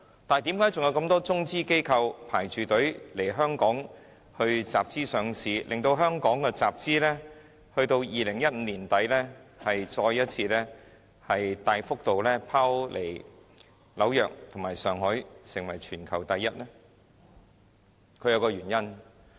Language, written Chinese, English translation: Cantonese, 但是，為何還有如此多中資機構排隊來香港集資上市，致令香港2015年年底的集資額再次大幅度拋離紐約和上海，成為全球第一？, But why is the number of Chinese companies lining up for capital - raising and listing in Hong Kong still so very large so large that Hong Kong could once again outdo New York and Shanghai and top the world in capital - raising volume at the end of 2015?